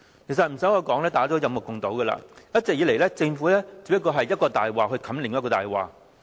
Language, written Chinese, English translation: Cantonese, 其實無需多說，大家也有目共睹，一直以來，政府只不過是用一個謊言蓋過另一個謊言。, Actually I need not elaborate further . All of us can see that the Government always uses a lie to cover up another